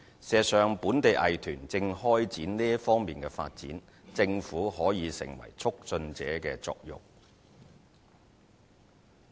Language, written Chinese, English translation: Cantonese, 事實上，本地藝團正開展這方面的發展，政府可起促進者的作用。, As a matter of fact local arts groups are venturing into the area and the Government can play the role of a facilitator in this regard